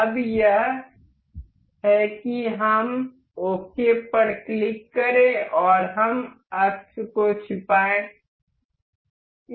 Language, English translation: Hindi, Now, it is we click on ok we will hide the axis